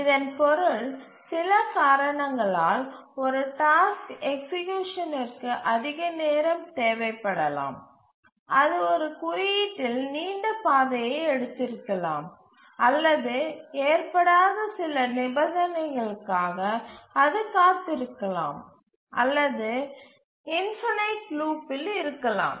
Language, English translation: Tamil, So what it means is that if due to some reason a task takes more time to execute, maybe it took a longer path in the code, maybe it was waiting for some condition which did not occur, maybe it went into an infinite loop